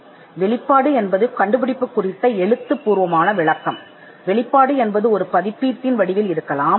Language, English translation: Tamil, Now disclosure is a written description of the invention, the disclosure may be in the form of a publication